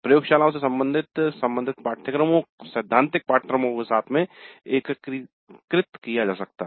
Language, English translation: Hindi, The laboratories may be integrated into corresponding theory courses